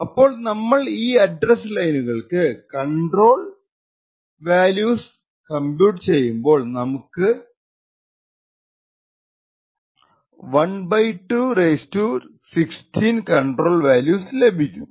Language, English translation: Malayalam, Thus, if we compute the control value for each of these address lines we would get a control value of (1/2) ^ 16